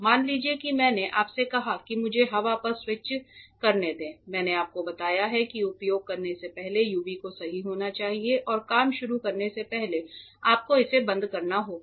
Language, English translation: Hindi, Let us say I have told you that let me switch on the air now I have told you that the UV has to be on correct before using and you have to switch it off before you start working